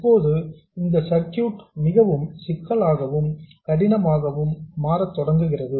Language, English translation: Tamil, Now this is when circuits start becoming apparently more complex and difficult